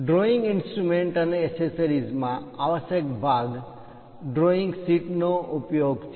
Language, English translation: Gujarati, In the drawing instruments and accessories, the essential component is using drawing sheet